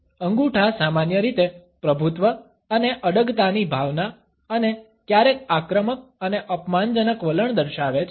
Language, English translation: Gujarati, Thumbs in general display our sense of dominance and assertiveness and sometimes aggressive and insulting attitudes